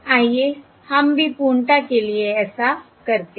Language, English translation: Hindi, Let us also do that for the sake of completeness